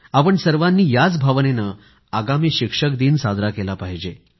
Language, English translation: Marathi, We must abide by the same essence, the same spirit as we celebrate Teachers' Day